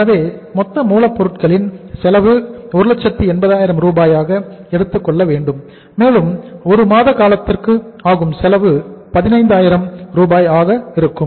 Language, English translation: Tamil, So it means raw material is total raw material is how much we have to take here is that is total material cost is 180,000 and for a period of 1 month the cost works out as 15,000